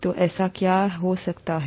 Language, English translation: Hindi, So what could that be